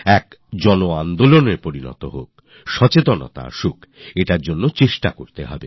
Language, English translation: Bengali, That it become a mass movement and bring awareness is what we must strive for